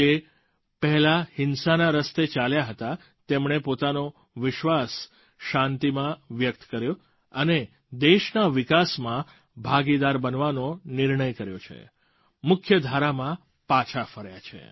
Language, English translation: Gujarati, Those who had strayed twards the path of violence, have expressed their faith in peace and decided to become a partner in the country's progress and return to the mainstream